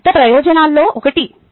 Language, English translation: Telugu, thats one of the big advantages